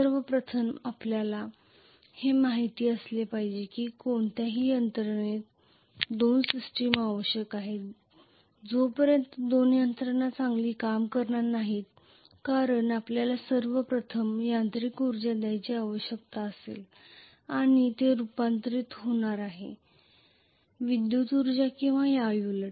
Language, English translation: Marathi, First of all, we should know that in any machine we will require two systems unless there are two systems it is not going to work very well, because we will require first of all mechanical energy to be given and that is going to be converted into electrical energy or vice versa